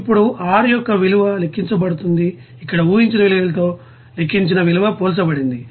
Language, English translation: Telugu, Now the value of R calculated and the value calculated compared to the assumed value here